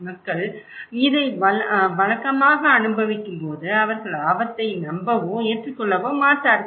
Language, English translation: Tamil, Familiarity, when people are experiencing this in a regular basis they don’t believe or accept the risk